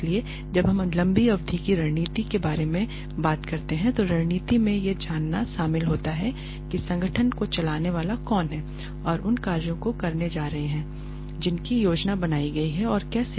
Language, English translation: Hindi, So, when we talk about long term strategy, strategy involves knowing who is going to run the organization who is going to carry out the tasks that have been planned and how